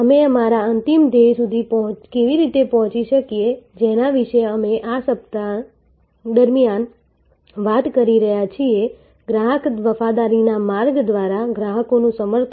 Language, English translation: Gujarati, How do we reach our ultimate aim that we have been talking about during this week, the customer advocacy through the pathway of Customer Loyalty